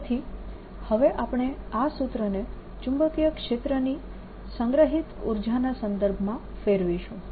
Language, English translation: Gujarati, so now what we want to do is convert this formula into energy in terms of magnetic field